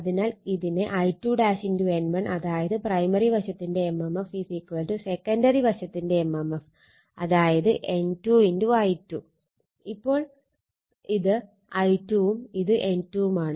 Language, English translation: Malayalam, And current here is I 2 dash therefore, you can make it I 2 dash into N 1 that is mmf of the primary side is equal to mmf of the secondary side that is N 2 into your your N 2 into your I 2, right